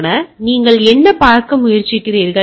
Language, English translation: Tamil, So, what you are trying to see